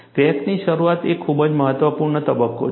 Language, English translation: Gujarati, Crack initiation is a very important phase